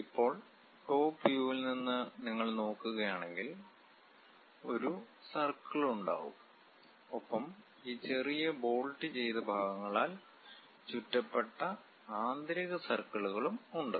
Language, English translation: Malayalam, Now, from top view if you are looking at; it will be having a circle and there are inner circles also surrounded by this small bolted kind of portions